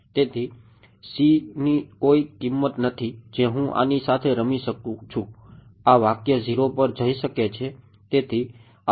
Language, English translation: Gujarati, So, there is no value of c that I can play around with that can make this expression going to 0